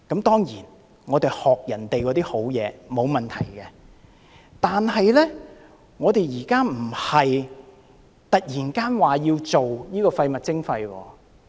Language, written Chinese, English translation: Cantonese, 當然，我們學習別人的好東西是沒有問題的，但我們現在並非突然要推行垃圾徵費。, Of course there is no problem learning from others strengths but our decision to launch waste charging is not something coming out of the blue